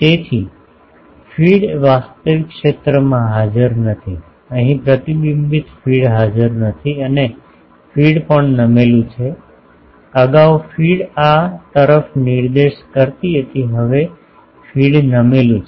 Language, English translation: Gujarati, So, the feed is not present in the actual zone, feed the reflector is not present here and also the feed is tilted, previously feed was pointing to these now feed is tilted